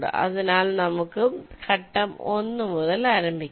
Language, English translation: Malayalam, so let us start with the phase one